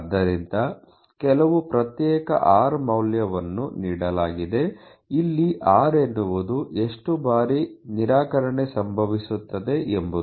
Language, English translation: Kannada, So, given some discrete value r, where r is the number of times rejection happens probably